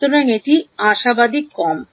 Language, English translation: Bengali, So, this is hopefully less